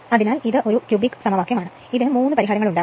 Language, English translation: Malayalam, So, it is a cubic equation you will have 3 solutions